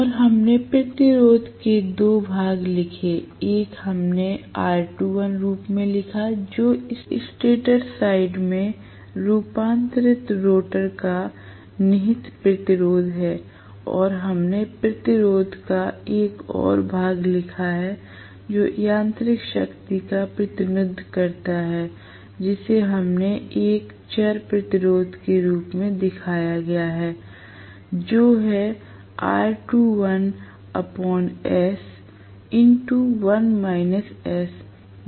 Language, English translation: Hindi, And we wrote 2 portions of the resistance, one we wrote as R2 dash which is the inherent resistance of the rotor transformed into the stator side and we wrote one more portion of the resistance which represents the mechanical power which we showed as a variable resistance, which is R2 dash by s multiplied by 1 minus s right